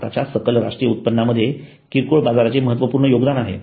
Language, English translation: Marathi, Retail market has significant contribution to India's GDP